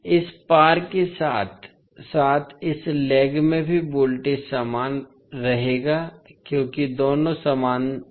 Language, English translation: Hindi, So, the voltage across this as well as across this lag will remain same because both are in parallel